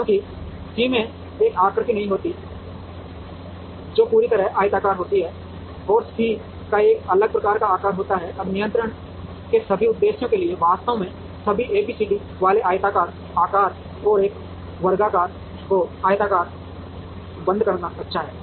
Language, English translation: Hindi, Because, C does not have a shape which is completely rectangular, and C has a different kind of shape, now for all purposes of control it is actually good to have all A B C D having rectangular shapes, and rectangle closure to a square